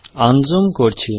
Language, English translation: Bengali, Let me unzoom